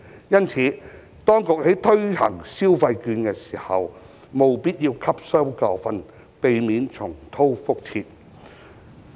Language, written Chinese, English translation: Cantonese, 因此，當局在推行消費券時，務必汲取教訓，避免重蹈覆轍。, In view of this the authorities must learn from the lesson when giving out the electronic consumption vouchers to avoid reoccurrence of the aforesaid situation